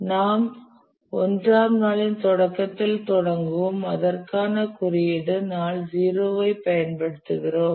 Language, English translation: Tamil, We start at the beginning of day 1 and for that we'll use the notation day zero